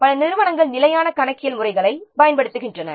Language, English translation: Tamil, Many organizations, they use standard accounting systems